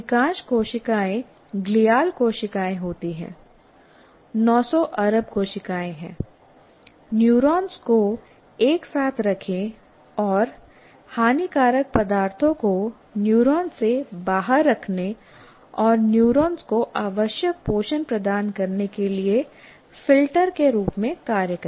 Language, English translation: Hindi, And most of the cells are glial cells, that is, 900 billion cells, they hold the neurons together and act as filters to keep and harmful substances out of the neurons and provide the required nutrition to the neurons as well